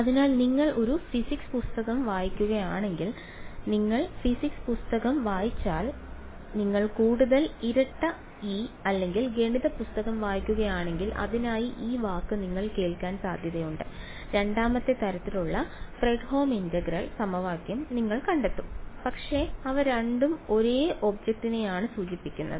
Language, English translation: Malayalam, So, if you read a physics books you physics book you are likely to hear this word for it if you read a more double E or math book you will find Fredholm integral equation of second kind, but they both refer to the same object ok